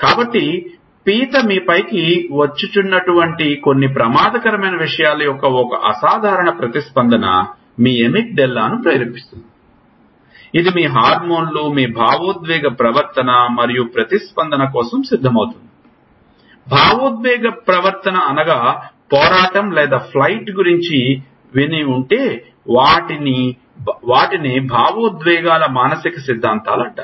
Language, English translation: Telugu, So, one simple response of some dangerous thing like a crab coming into you evokes not only a visual image it evokes your Emic Della, which gets ready for a response, your hormones, your emotional behavior, and what is an emotional behavior if you must have heard of fight or flight these are psychological theory of emotions